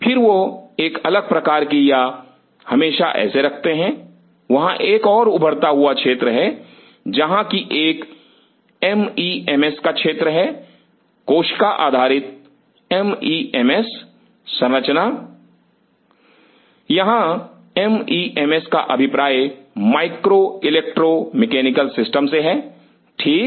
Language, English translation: Hindi, Then they do a different kind of or let us put it like this, there is another emerging area where there is a area of bio mems, cell based bio mems structure mems here stands for micro electro mechanical S stand for systems ok